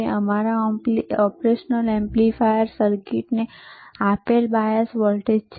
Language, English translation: Gujarati, That is your bias voltage given to your operational amplifier circuit;